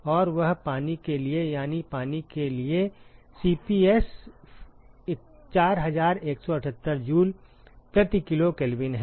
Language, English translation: Hindi, And that is for water that is for water is Cps 4178 joule per k g Kelvin